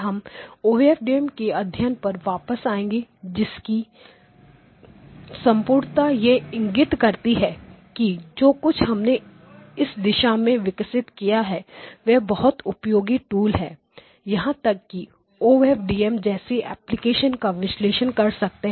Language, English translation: Hindi, We will come back to study OFDM in its completeness like now just to indicate that whatever we have developed is actually a very useful tool in even in analyzing a application such as OFDM Any questions